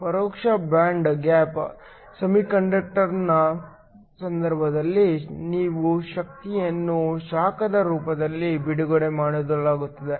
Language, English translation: Kannada, In the case of an indirect band gap semiconductor, the energy is released in the form of heat